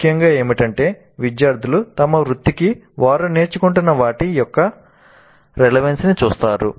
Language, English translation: Telugu, What is essentially is that the students see the relevance of what they are learning to their profession